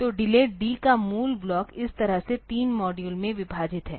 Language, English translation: Hindi, So, so the original block of delay D it is divided into 3 modules like this